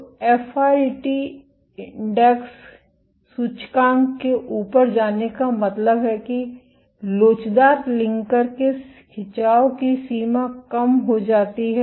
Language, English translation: Hindi, So, the FRET index went up means that the extent of stretch of the elastic, linker, decreases